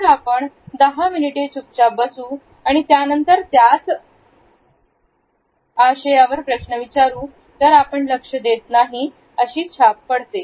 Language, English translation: Marathi, If we sat there quietly for ten minutes and asked the same question, we make the impression that we did not even pay attention